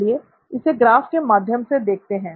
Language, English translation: Hindi, Let’s look at this in a graphical format